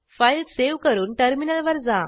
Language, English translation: Marathi, Save the file and switch to terminal